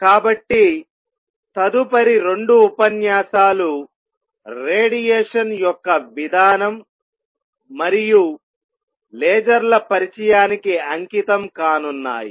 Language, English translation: Telugu, So, next 2 lectures are going to be devoted to this mechanism of radiation and place introduction to lasers